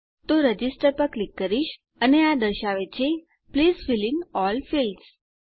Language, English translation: Gujarati, So I will click Register and it says Please fill in all the fields